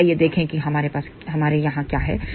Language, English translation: Hindi, So, let us see what we have here